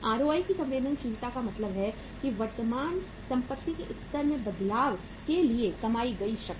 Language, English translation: Hindi, So ROI is means sensitivity of the ROI to the change in the level of the current assets